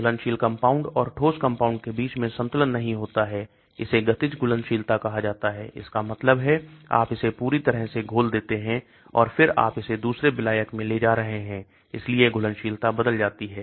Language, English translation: Hindi, Equilibrium is not reached between the dissolved compound and the solid compound , this is called the kinetic solubility, that means you dissolve it completely and then you are then taking it into another solvent, so the solubility changes